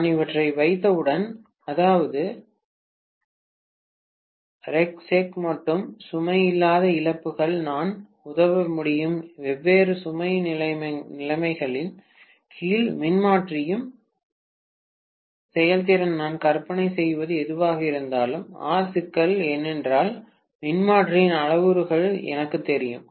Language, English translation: Tamil, Once I have these, that is R equivalent, X equivalent and the no load losses, I should be able to assist the performance of the transformer under different load conditions whatever I imagine, not a problem, because I know the parameters of the transformer, right